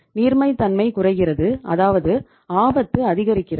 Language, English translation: Tamil, Liquidity is going down it means the risk is increasing